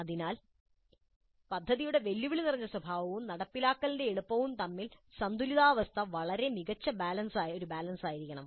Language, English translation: Malayalam, So the balance between the challenging nature of the project and the ease of implementation must be a very fine balance